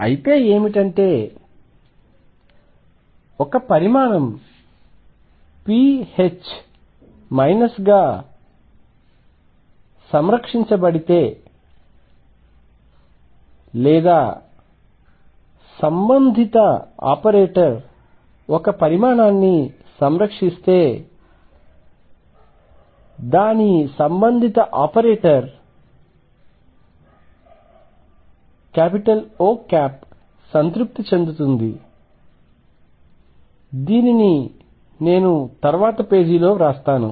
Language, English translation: Telugu, So, what; that means, is if a quantity is conserved pH minus other that or corresponding operator satisfies if a quantity is conserved the corresponding operator, the corresponding operator O satisfies let me write this in the next page